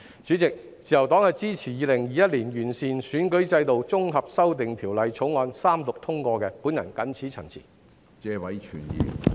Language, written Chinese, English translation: Cantonese, 主席，自由黨支持《2021年完善選舉制度條例草案》三讀並通過，謹此陳辭。, Chairman with these remarks the Liberal Party supports the Third Reading and the passage of the Improving Electoral System Bill 2021